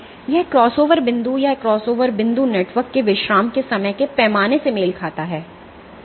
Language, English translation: Hindi, So, this crossover point, this crossover point corresponds to the time scale of relaxation of the network